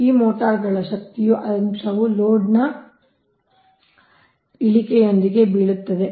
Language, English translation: Kannada, the power factor of these motors falls with the decrease of load